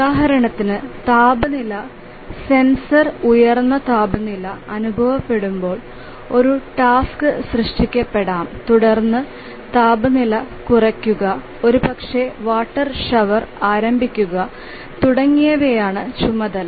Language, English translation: Malayalam, Just to give an example that a task may be generated when the temperature sensor senses a high temperature then the task would be to reduce the temperature, maybe to start a water shower and so on